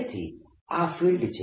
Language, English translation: Gujarati, so this is the field